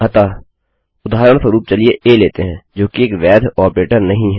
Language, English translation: Hindi, So, for example lets take a which is not a valid operator